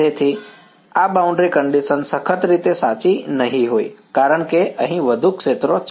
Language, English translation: Gujarati, So, this boundary condition will not be strictly true because there are more fields over here